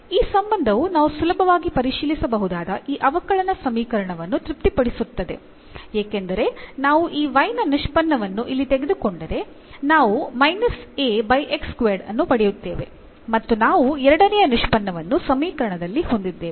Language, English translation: Kannada, Why this is the solution, because this relation satisfies this differential equation which we can easily verify because if we take the derivative here of this y we will get minus A over x square and because we have the second derivative as well in the equation